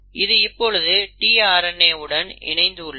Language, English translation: Tamil, Now tRNA is a very interesting RNA molecule